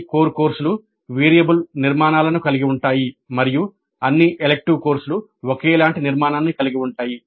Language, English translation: Telugu, All core courses have variable structures and all elective courses have identical structure